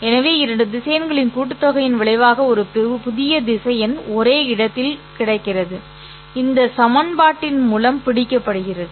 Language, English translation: Tamil, So, this idea of sum of two vectors resulting in a new vector which is lying in the same space is captured by this equation